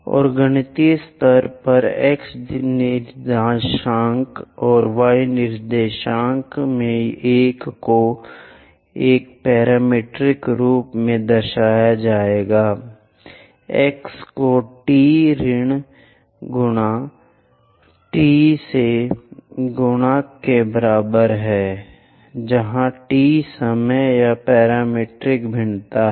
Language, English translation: Hindi, And at mathematical level the x coordinates and y coordinates, one will be represented in a parametric form x is equal to a multiplied by t minus sin t, where t is the time or parametric variation